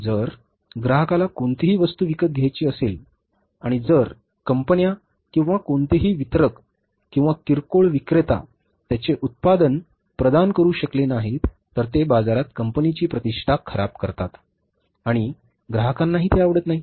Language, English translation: Marathi, If anything, the customer wants to buy and if the companies or any distributor or retailer is not able to provide their product, then it creates a bad impression in the market and customers don't like it